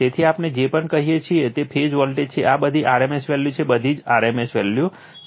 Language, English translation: Gujarati, So, whatever we say V p is the phase voltage these are all rms value right, everything is rms value